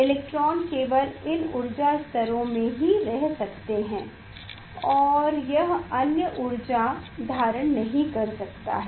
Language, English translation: Hindi, electrons can only stay in this energy levels it cannot stay in other energy with other energy